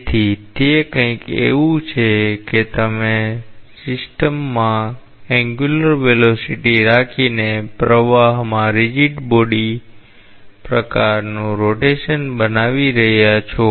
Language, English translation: Gujarati, So, it is something like you are creating a rigid body type of rotation in a flow by having an angular velocity to the system